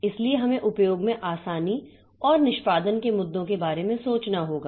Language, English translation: Hindi, So, we have to think about the ease of use and the performance issues